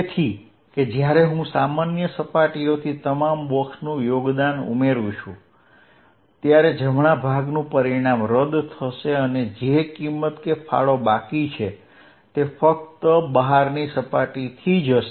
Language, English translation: Gujarati, So, that the right hand part when I add over all boxes contribution from common surfaces will cancel with the result that the only contribute remain will be only from outside surfaces